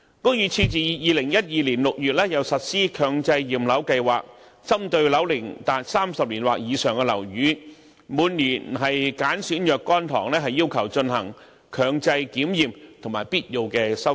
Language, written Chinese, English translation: Cantonese, 屋宇署自2012年6月又實施強制驗樓計劃，針對樓齡達30年或以上的樓宇，每年揀選若干幢要求進行強制檢驗和必要的修葺。, The Buildings Department has implemented the Mandatory Building Inspection Scheme since June 2012 targeting buildings aged 30 years or above . Every year a few buildings will be selected to undergo compulsory inspection and necessary repairs